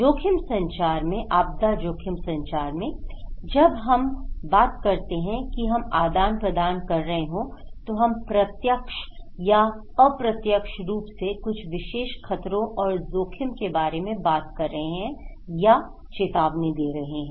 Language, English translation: Hindi, In risk communication, in disaster risk communications, when we say we are exchanging informations, we are directly or indirectly talking about some particular hazards and risk